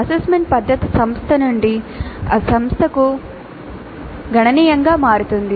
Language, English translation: Telugu, The method of assessment varies dramatically from institution to institution